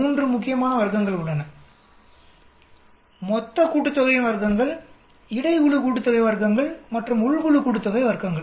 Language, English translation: Tamil, There are 3 important sum of squares total sum of squares, between group sum of squares and within group sum of squares